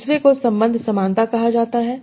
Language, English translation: Hindi, Second is called relation similarity